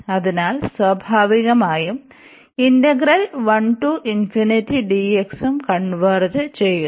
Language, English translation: Malayalam, So, naturally this will also converge